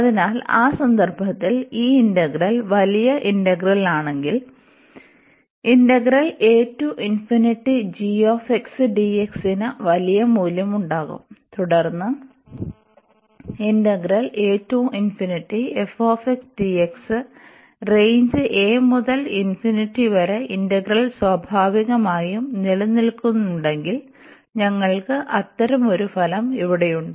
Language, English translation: Malayalam, So, we have indeed this relation when we have this g bigger that this integral this g will be having the larger value then this integral f d x d x, whatever range we are talking about here like a to infinity and a to infinity if these integral exist naturally in that case, we have such a result here